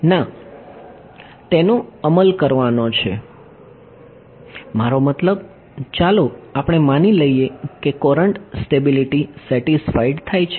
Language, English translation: Gujarati, No, that is to enforce the I mean let us assume courant stability satisfied ok